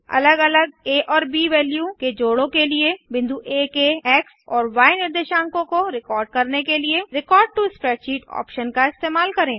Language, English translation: Hindi, Use the Record to Spreadsheet option to record the x and y coordinates of a point A, for different a and b value combinations